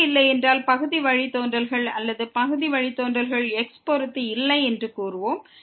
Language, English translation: Tamil, If it does not exist, we will call the partial derivatives or partial derivative with respect to does not exist